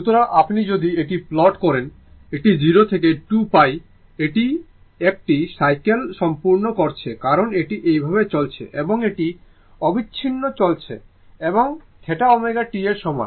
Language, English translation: Bengali, So, if you plot it so, this is from 0 to 2 pi, it is completing 1 cycle right because this is going like this and going like this and continuous it continuous and theta is equal to omega t right